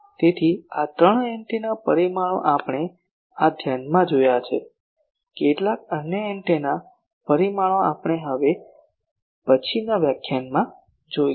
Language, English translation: Gujarati, So, this three antenna parameters we have seen in this lecture, some other more antenna parameters we will see in the next lecture